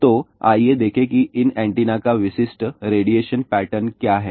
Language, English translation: Hindi, So, let's see what is the typical radiation pattern of these antenna